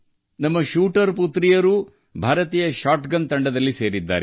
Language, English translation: Kannada, Our shooter daughters are also part of the Indian shotgun team